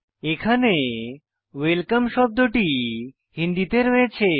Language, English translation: Bengali, And you can see the word welcome typed in Hindi